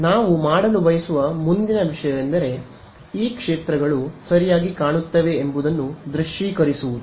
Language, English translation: Kannada, The next thing we would like to do is to visualize what these fields look like ok